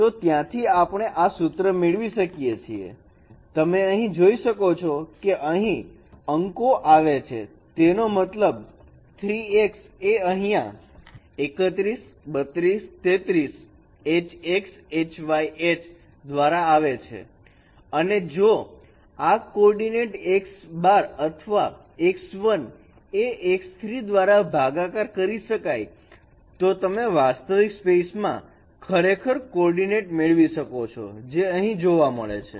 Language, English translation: Gujarati, And the denominator, that means x3 prime is coming from here H31 x 3 2 y h 3 3 and if then if this coordinate x prime or x1 prime is divided by x3 prime then you get actually the coordinate in the real space which is observed here